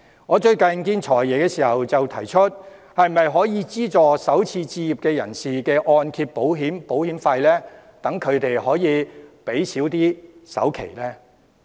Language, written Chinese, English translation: Cantonese, 我最近與"財爺"見面時提到是否可以資助首次置業人士的按揭保費，讓他們可以減少首期的支出。, During a recent meeting with the Financial Secretary I have brought up the suggestion of subsidizing the mortgage insurance premium of first - time home buyers so as to reduce their expenses on down payment